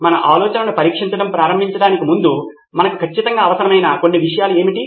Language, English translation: Telugu, What are some of the things that we definitely need before we can even start testing our ideas